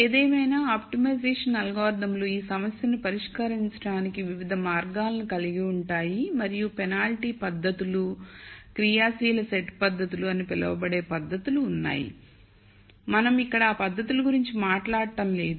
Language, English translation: Telugu, However, optimization algorithms will have di erent ways of solving this problem and there are methods called penalty methods, active set methods and so on, we are not going to talk about those methods here